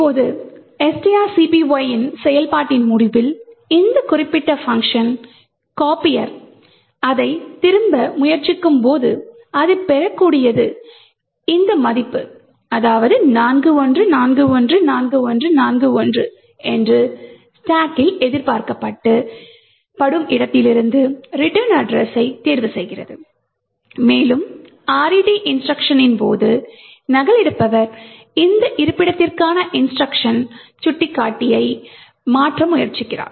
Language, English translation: Tamil, Now at the end of execution of string copy when this particular function copier tries to return it picks the return address from the expected location on the stack that what it would obtain is this value 41414141 and during their RET instruction that copier executes it tries to change the instruction pointer to this location